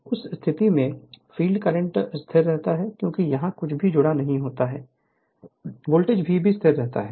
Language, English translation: Hindi, So, in that in that case, your field current I f remain constant because, nothing is connected here because, this voltage V is remains constant